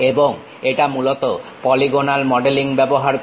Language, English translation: Bengali, And it mainly uses polygonal modeling